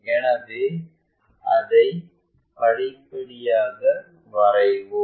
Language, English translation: Tamil, So, let us draw that step by step